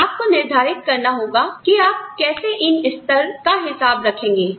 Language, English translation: Hindi, You have to decide, where you draw these levels